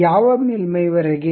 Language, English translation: Kannada, Up to which surface